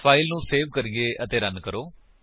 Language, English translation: Punjabi, Save the file and run it